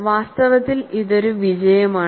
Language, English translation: Malayalam, In fact, this is a success